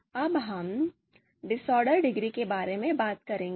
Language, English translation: Hindi, Then now, we will talk about the discordance degree